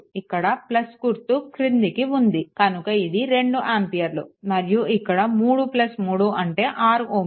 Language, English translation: Telugu, Look plus is here at the bottom right, therefore, this is your 2 ampere; and here this 3 plus 3 6 ohm